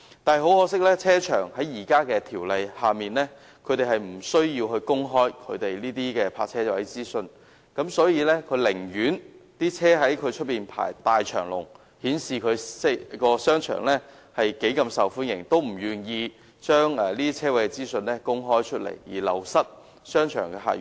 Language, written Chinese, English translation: Cantonese, 但是，很可惜，停車場在現行法例下無須公開其泊車位的資訊，所以，停車場的經營者寧可汽車在其門前大排長龍，以顯示該商場多麼受歡迎，也不願意將泊車位的資訊公開，繼而流失商場的客源。, But regrettably under the existing legislation car parks are not required to make public their parking vacancy data and so car park operators would rather see long queues of vehicles outside their car parks to show that the shopping mall is very popular than to make public their parking vacancy data which could in turn lose a source of patronage to the shopping mall